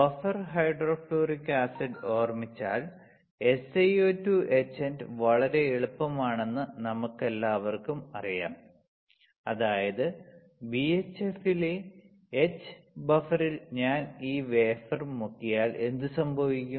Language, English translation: Malayalam, We all know SiO2 etchant very easy to remember buffer hydrofluoric acid; that means, when I when I dip this wafer in the buffer H in BHF, what will happen